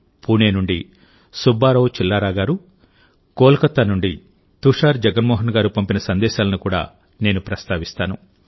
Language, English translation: Telugu, I will also mention to you the message of Subba Rao Chillara ji from Pune and Tushar Jagmohan from Kolkata